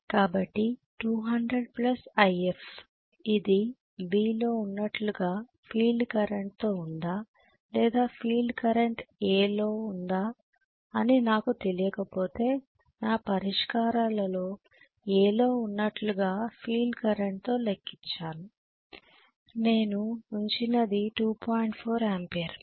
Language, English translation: Telugu, So 200 plus IF I do not know whether this is with field current as in V or is it field current is in A, I think I have calculated it with field current as in A in my solutions what I have put which is 2